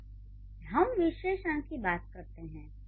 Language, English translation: Hindi, Okay, now let's go to the adjectives